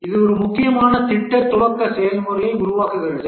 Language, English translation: Tamil, This forms an important project initiation process